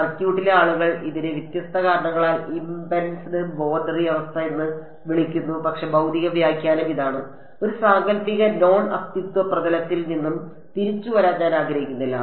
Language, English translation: Malayalam, Circuit’s people call it impedance boundary condition for different reasons ok, but the physical interpretation is this I do not want to field to come back from a hypothetical non existence surface ok